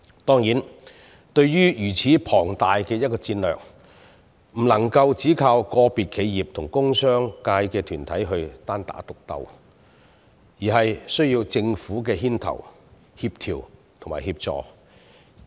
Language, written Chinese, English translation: Cantonese, 當然，對於如此龐大的一個戰略，不能只靠個別企業及工商界團體單打獨鬥，而是需要政府牽頭、協調及協助。, Certainly for a strategic plan of such a large scale we cannot rely solely on individual enterprises and organizations from the industrial and business sectors to fight a lone battle . The leadership coordination and assistance of the Government are needed